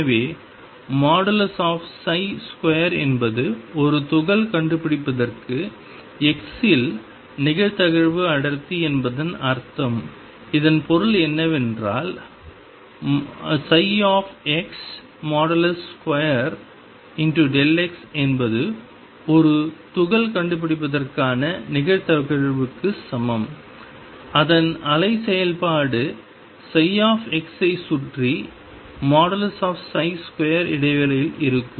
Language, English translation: Tamil, So, psi x mod square is probability density at x for finding a particle at that point what does that mean this means that mod psi x square delta x is equal to probability of finding a particle whose wave function is psi x in the interval delta x around x